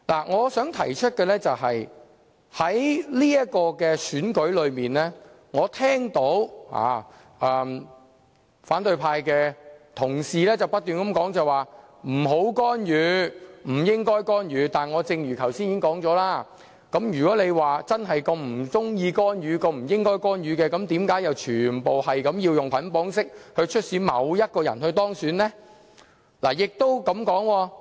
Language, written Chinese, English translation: Cantonese, 我想提出的是，就這次選舉而言，我聽到反對派同事不斷提出不要干預和不應該干預，但正如我剛才也說過，如果他們真的不喜歡或覺得不應該干預，為何又要全部選委以捆綁式促使某人當選呢？, I wish to highlight one point in respect of this election colleagues of the opposition camp have kept warning against intervention saying that no intervention should be made . But as I have just said if they really do not like or think that no intervention should be made then why do they ask all EC members to bundle their votes and vote for a specific candidate?